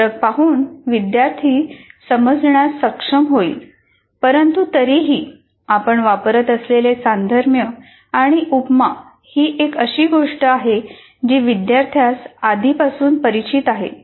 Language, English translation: Marathi, So by looking at these differences, one will be able to understand, but still the analogy or the simile that you are using is something that students are already familiar with